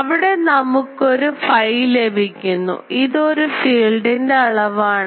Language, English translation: Malayalam, So, here we getting a phi, but this is a filed quantity